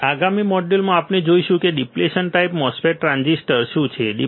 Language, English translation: Gujarati, Now, in the next module we will see what is the depletion type mos transistor